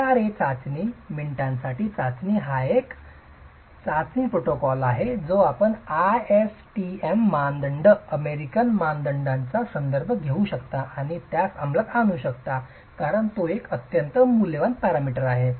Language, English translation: Marathi, The IRA test, the five minute test is a test protocol that you can refer to the ASTM standards, the American standards and carry it out because it is a very valuable parameter